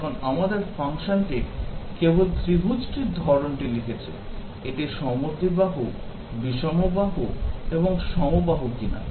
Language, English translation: Bengali, Now, our function just writes down the type of the triangle, whether it is isosceles, scalene, and equilateral